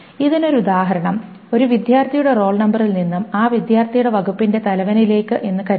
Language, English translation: Malayalam, An example of this is suppose the role number of a student to the head of the department of that student